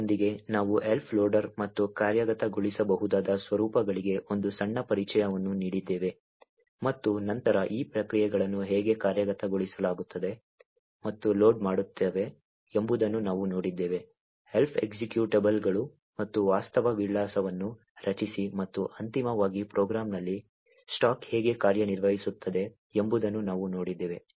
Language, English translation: Kannada, With this, we have given a small introduction to Elf loader and executable formats and then we have also seen how processes execute and load these executables Elf executables and create a virtual address and finally we have seen how the stack in the program operates